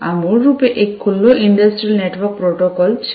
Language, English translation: Gujarati, This is basically an open industrial network protocol